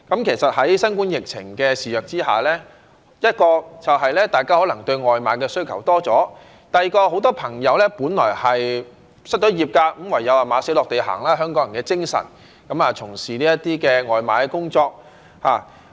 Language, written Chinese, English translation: Cantonese, 其實，在新冠疫情肆虐之下，第一，就是大家可能對外賣的需求多了；第二，很多朋友本來失業，唯有"馬死落地行"——香港人的精神——從事這些外賣工作。, Actually as the novel coronavirus epidemic rages on first peoples demand for takeaway delivery services has surged; and second many people who have fallen out of job have no alternative but to engage in takeaway delivery services―this has manifested the admirable spirit of Hong Kong people